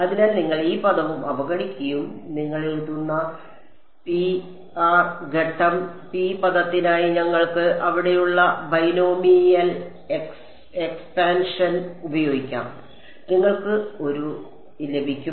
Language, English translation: Malayalam, So, you ignore this term also and for the phase term you write rho is approximately equal to R into we can use the binomial expansion over here and you will get a